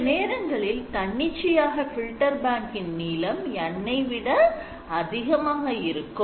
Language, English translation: Tamil, So, filter bank actually allows you to have filter length arbitrary it can be greater than N